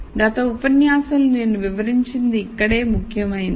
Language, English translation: Telugu, So, this is where what I explained in the last lecture is important